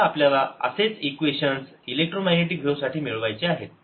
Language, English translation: Marathi, exactly similar equations are now going to be obtained for ah electromagnetic waves